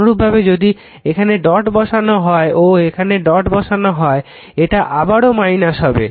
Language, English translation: Bengali, Similarly if you put the dot is here and dot is here